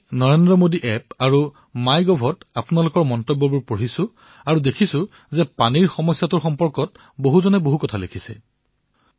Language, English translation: Assamese, I was reading your comments on NarendraModi App and Mygov and I saw that many people have written a lot about the prevailing water problem